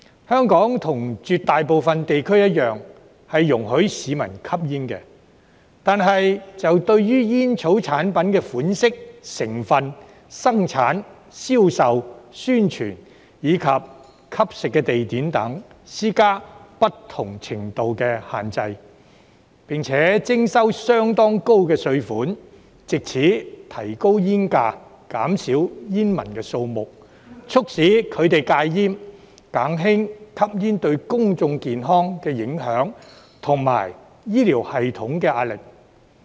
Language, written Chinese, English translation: Cantonese, 香港與絕大部分地區一樣，容許市民吸煙，但對煙草產品的款式、成分、生產、銷售、宣傳及吸食地點等，施加不同程度的限制，並徵收相當高的稅款，藉此提高煙價，減少煙民數目，促使他們戒煙，減輕吸煙對公眾健康的影響及醫療系統的壓力。, Hong Kong just like the vast majority of places allows members of the public to smoke but imposes different levels of restrictions on the types ingredients manufacture sale promotion and smoking locations etc . of tobacco products . It also levies rather heavy taxes to raise cigarette prices with a view to reducing the number of smokers so as to make them quit smoking and to reduce the impact of smoking on public health and the pressure on the healthcare system